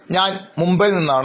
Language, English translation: Malayalam, I am from Mumbai and I am 21 years old